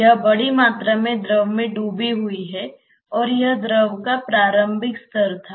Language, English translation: Hindi, It is dipped into larger volume of fluid, and let us say that this was the initial level of the fluid